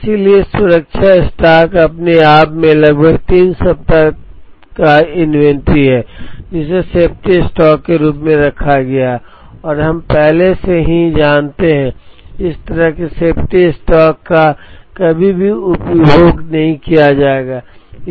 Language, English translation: Hindi, So, the safety stock itself is about three weeks of inventory is held as safety stock and we already know that, such a safety stock is never going to be consumed off